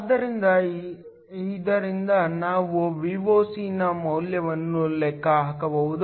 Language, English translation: Kannada, So, from this, we can calculate the value of Voc